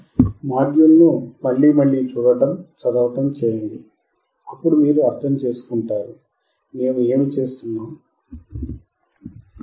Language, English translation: Telugu, Other than reading look at the module see again and again then you will understand, what are the things that we are performing, if you have access to the laboratory, please go and perform this experiment